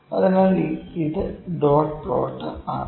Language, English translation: Malayalam, So, this is dot plot